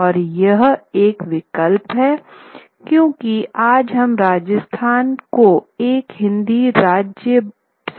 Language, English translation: Hindi, And this is a choice because we would understand in today's day and age Rāsthan to be a Hindi speaking state